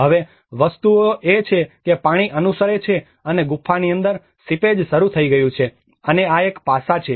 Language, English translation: Gujarati, Now, things are the water is following and the seepage has started within the caves and this is one aspect